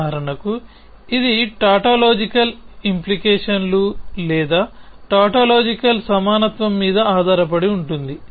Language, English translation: Telugu, For example, it is based on tautological implications or tautological equivalences and so on